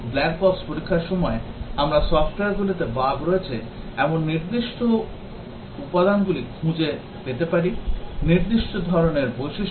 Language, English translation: Bengali, During black box testing, we might find out the specific components the software which have bugs; the specific types of features